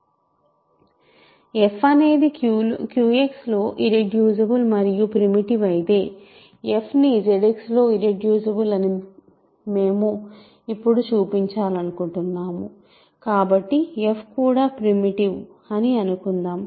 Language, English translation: Telugu, If f is irreducible in Q X and also primitive, if f is also primitive content of f is; so, we want to now show that f can be f cannot be irreducible in sorry, f has to be irreducible in Z X